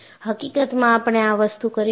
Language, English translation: Gujarati, And, in fact, we would do this